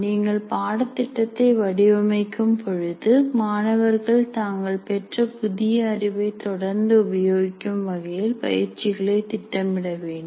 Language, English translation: Tamil, You plan exercises through course design in such a way that students are required to engage constantly with the new knowledge that is being imparted